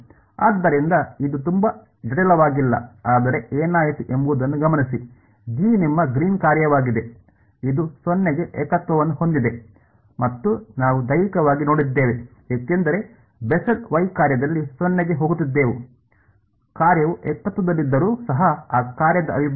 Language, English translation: Kannada, So, it is not very complicated, but just notice what happened, G is your greens function, we have intuit physically seen that it has a singularity at 0 because at a Bessel y function was going to 0, even though the function is singular what is the integral of that function